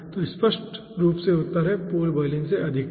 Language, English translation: Hindi, so obviously the answer is higher than pool boiling